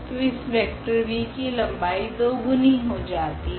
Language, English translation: Hindi, So, that is the vector this width length double of this length of this v